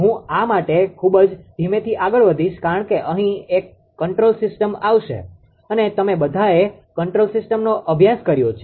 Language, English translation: Gujarati, I will move very slowly for this one ah because it is it is a control system will come here right and you have all studied control system